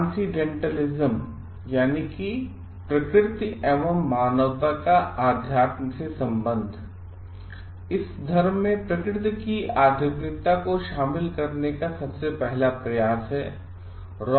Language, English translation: Hindi, Transcendentalism is the earliest attempt to incorporate spirituality of nature in the religion